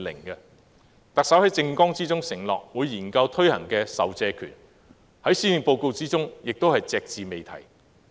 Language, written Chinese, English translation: Cantonese, 特首在政綱中承諾會研究推行的授借權，在施政報告內也是隻字未提。, The Chief Executive undertook to study the introduction of Public Lending Right in her manifesto but there is no mention of it in the Policy Address